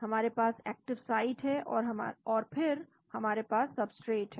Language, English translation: Hindi, we have the active side and then we have the substrate